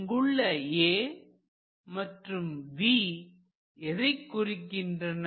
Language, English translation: Tamil, what is this a and what is this v